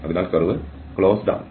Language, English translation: Malayalam, So, the curve is closed